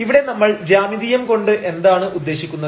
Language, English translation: Malayalam, So, what do we mean here in geometry now